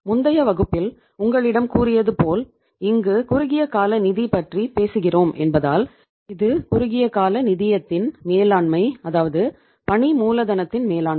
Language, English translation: Tamil, As I told you in the previous class also that since we are talking about the short term finance, it is a management of the short term finance, it is a management of working capital